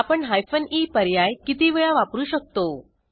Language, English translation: Marathi, How many hyphen e options can we give